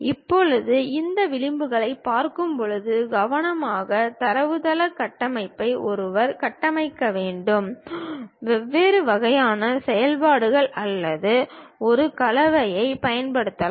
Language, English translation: Tamil, Now, when we are looking at these edges, vertices careful database structures one has to construct; there are different kind of operations or perhaps combinations one can use